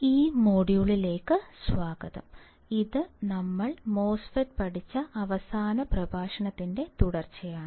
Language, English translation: Malayalam, Welcome; to this module and this is a continuation of our last lecture in which we have seen the MOSFET